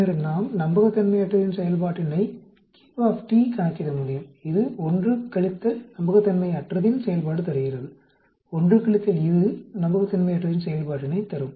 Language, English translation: Tamil, Then we can also calculate unreliability function q t, which is given by 1 minus the reliability function, 1 minus of this will give the unreliability function